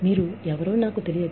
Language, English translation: Telugu, I do not know, you